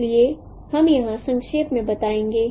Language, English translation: Hindi, So this is the summary